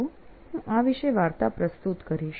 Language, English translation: Gujarati, So I'll demonstrate this particular story